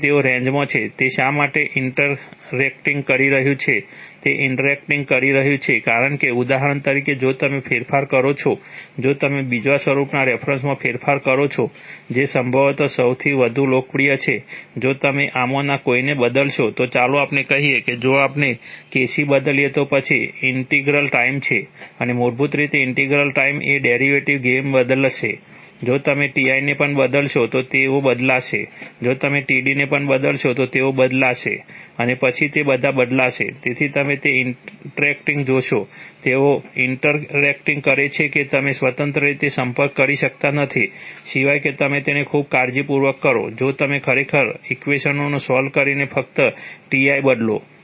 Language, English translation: Gujarati, So therefore they are in series, why is it interacting, it is interacting because, for example if you change, if you change with respect to the, with respect to the second form which is probably the, probably the most popular, if you change any one of these, let us say if we change KC then integral time and is basically the integral and the derivative gains will change, if you change Ti also they will change, if you change Td also they will change and then all of them will change, so you see that interact, they interact that is you cannot independently, unless you do it very carefully, by actually solving equations if you just change Ti That is not just that the integral time is going to change, the derivative time will also change and the proportional gain will also change, so therefore the, the changes are interacting with one another that is why it is called an interacting controller, this is called analog because this controller has it is origin in the old days pneumatic controls, actually it turns out that, it was easier to generate the PID equation in this form using pneumatic elements, you know, things like, things like orifices and then bellows, flapper nozzles, so you, with such things it is easy to build it in this form and not in the parallel form right